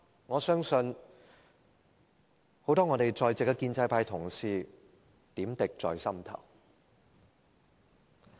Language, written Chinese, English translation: Cantonese, 我相信很多在席的建制派同事點滴在心頭。, I believe many pro - establishment Members present must have their untold bitterness